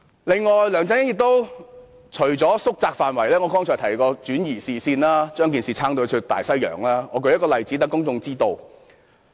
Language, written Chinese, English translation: Cantonese, 另外，梁振英除了縮窄調查範圍外，還轉移視線，離題萬丈，我舉一個例子讓公眾知道。, In addition apart from seeking to narrow the scope of inquiry LEUNG Chun - ying has also tried to divert public attention and put forward proposals that are totally irrelevant to the subject matter